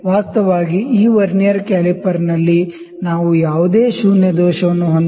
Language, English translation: Kannada, Actually in this Vernier caliper also we did not have any zero error